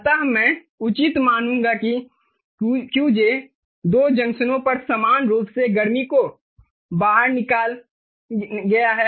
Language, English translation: Hindi, so reasonable, i would say, to assume that qj is dissipated equally at the two junctions